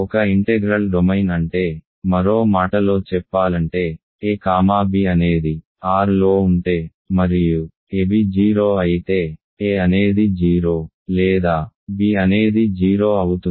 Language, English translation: Telugu, An integral domain is, so in other words, so if a comma b are in R and ab is 0 then, a is 0 or b is 0 right